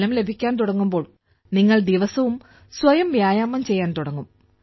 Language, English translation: Malayalam, When you start getting results, you will start exercising yourself daily